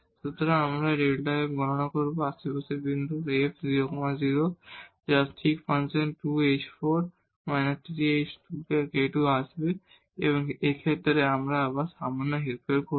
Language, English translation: Bengali, So, we will compute this delta f now, the point in the neighborhood minus this f 0 0 which will come exactly that function 2 h 4 minus 3 h square k plus this k square and in this case we will do again little manipulation here